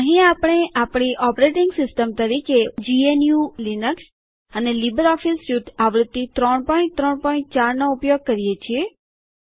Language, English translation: Gujarati, Here we are using GNU/Linux as our operating system and LibreOffice Suite version 3.3.4